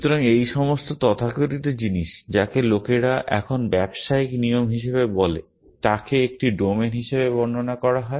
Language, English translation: Bengali, So, all these so called what which people now days call as business rules are described as a domain people